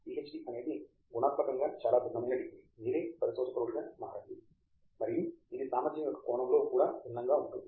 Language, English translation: Telugu, PhD is a qualitatively a very different degree where you are training yourselves to become a researcher and it is one different in also a sense of the ability of a PhD